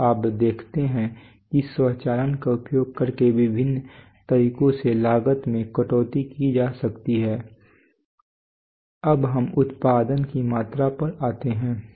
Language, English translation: Hindi, So you see that that using automation one can cut down costs in various ways now let us come to production volume